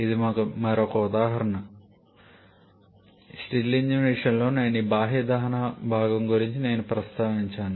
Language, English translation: Telugu, It is another example I think in case of Stirling engine I have mentioned about this external combustion part also